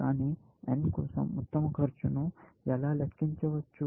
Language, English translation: Telugu, How do I compute best cost for n